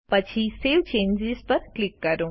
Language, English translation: Gujarati, Then click Save Changes